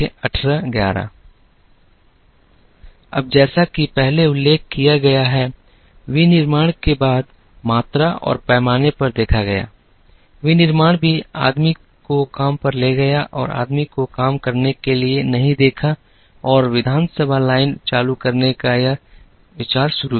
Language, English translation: Hindi, Now, as mentioned earlier, after manufacturing looked at volume and scale, manufacturing also looked at taking the work to the man and not the man to the work and this idea of moving assembly line started